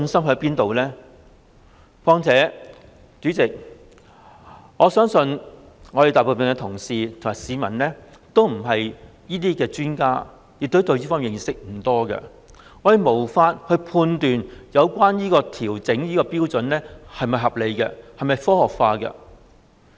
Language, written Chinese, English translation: Cantonese, 況且，代理主席，我相信大部分同事及市民都不是這方面的專家，對此認識不多，我們無法判斷有關標準的調整是否合理和科學化。, Furthermore Deputy President I believe most of the Honourable colleagues and members of the public are not experts in this field . Having little knowledge of this matter we are unable to judge whether such adjustment to the trigger level is reasonable and scientific